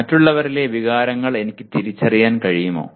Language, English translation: Malayalam, Can I recognize the emotions in others